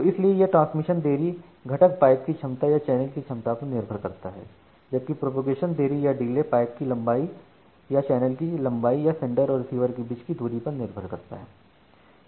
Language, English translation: Hindi, So, that is why this transmission delay it depends the transmission delay component it depends on the capacity of the pipe or the capacity of the channel and whereas, the propagation delay it depends on the length of the pipe or the length of the channel or the distance between the sender and the receiver